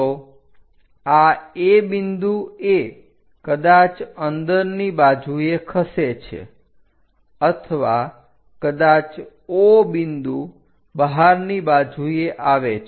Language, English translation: Gujarati, So, this A point perhaps moving either inside or perhaps O point which is going out in the direction outwards